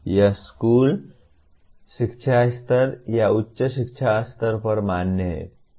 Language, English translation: Hindi, This is valid at school education level or at higher education level